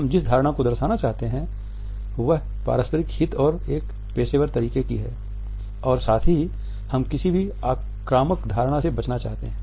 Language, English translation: Hindi, The impression which we want to pass on is that of mutual interest and a professional intensity and at the same time we want to avoid any offensive connotations